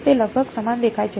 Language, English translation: Gujarati, It looks almost the same right